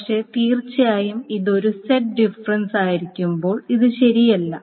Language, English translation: Malayalam, But of course this is not true when this is a set difference